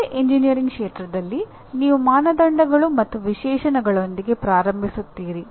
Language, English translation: Kannada, There is no engineering activity out in the field where you do not start with criteria and specifications